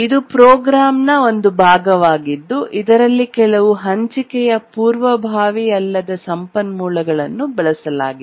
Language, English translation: Kannada, It's a part of the program in which some shared non preemptible resource is accessed